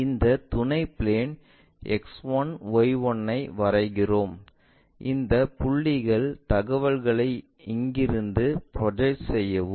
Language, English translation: Tamil, We draw this auxiliary plane X1Y1; project these point's information's from here all the way